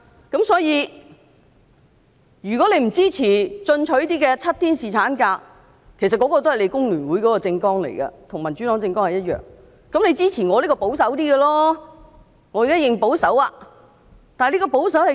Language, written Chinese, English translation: Cantonese, 如果議員不支持比較進取的7天侍產假建議——其實這也載於工聯會的政綱，而民主黨的政網同樣載有此點——可以支持我比較保守的修正案。, If Members do not support the more aggressive proposal of seven days paternity leave―actually this is part of FTUs manifesto as well as part of the Democratic Partys manifesto―they can support my amendment which is more conservative